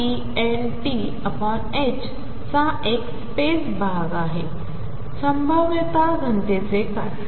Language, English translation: Marathi, What about the probability density